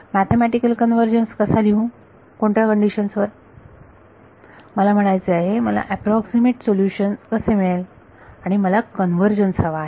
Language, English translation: Marathi, Mathematically how will I write convergence under what conditions I mean how will I have an approximate solution and I wanted to convergence